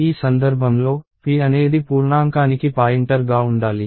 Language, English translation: Telugu, In this case, p is supposed to be a pointer to an integer